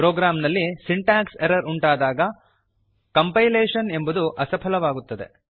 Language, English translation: Kannada, Compilation fails when a program has syntax errors